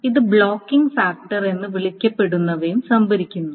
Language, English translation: Malayalam, It also stores something called a blocking factor